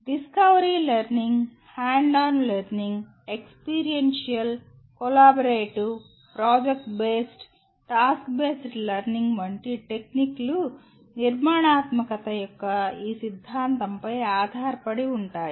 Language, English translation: Telugu, Techniques like discovery learning, hands on learning, experiential, collaborative, project based, task based learning are all based on this theory of constructivism